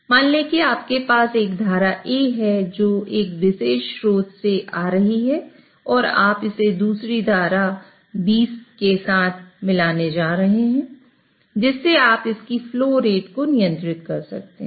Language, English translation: Hindi, So, let us say you have a stream A which is coming in from one particular source and you are going to mix it with another stream FB which you can control its flow rate